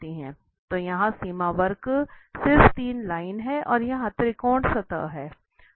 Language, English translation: Hindi, So here the curve the bounding curve, are just these 3 lines and the triangle here is the surface